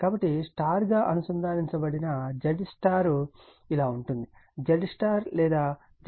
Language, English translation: Telugu, So, Z y that star connected it is so, Z star or Z y is given 40 plus j 25 is equal to 47